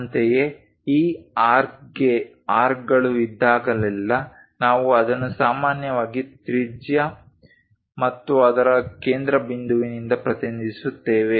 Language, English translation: Kannada, Similarly, whenever there are arcs for this arc we usually represent it by radius and center of that